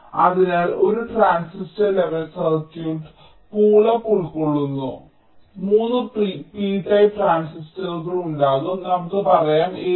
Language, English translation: Malayalam, so a transistor level circuit will consists of: the pull up there will be three beta transistors, lets say a, b, c